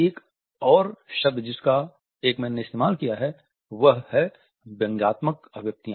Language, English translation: Hindi, Another term which Ekman has used is squelched expressions